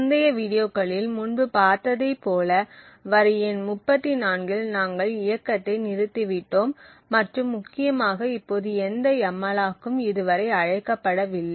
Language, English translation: Tamil, So what we have stopped as we have seen before in the previous videos is that we have stopped at line number 34 and importantly right now there is no malloc has been called as yet